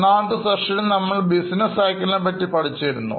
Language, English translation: Malayalam, If you remember in our session one, we have seen the business cycle